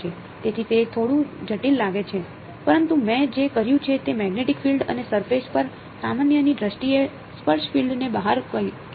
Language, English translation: Gujarati, So, it looks a little complicated, but all I have done is have extracted the tangential field in terms of the magnetic field and the normal to the surface